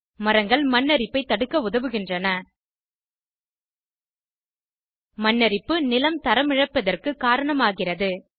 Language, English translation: Tamil, Trees help in preventing soil erosion Soil erosion causes degradation of land and hence less farm produce